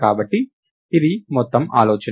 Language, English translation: Telugu, So, this is the whole idea